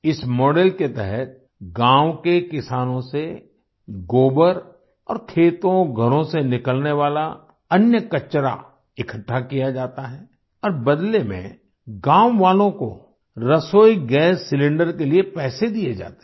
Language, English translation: Hindi, Under this model, dung and other household waste is collected from the farmers of the village and in return the villagers are given money for cooking gas cylinders